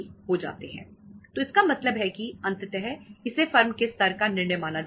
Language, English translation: Hindi, So it means ultimately it will be considered as a firm level decision